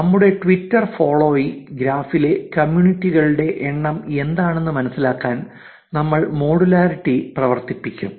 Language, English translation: Malayalam, You can generate similar statistics; we will also run the modularity to understand that what are the numbers of communities in our twitter followee graph